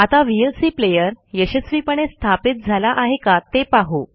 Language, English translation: Marathi, Now, let us verify if the vlc player has been successfully installed